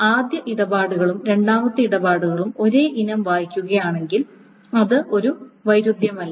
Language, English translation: Malayalam, So the transactions one and transaction two, even if they read the same item, it is not a conflict